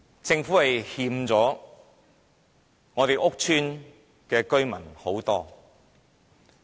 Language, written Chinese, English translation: Cantonese, 政府對屋邨居民虧欠很多。, The Government owes public housing residents a lot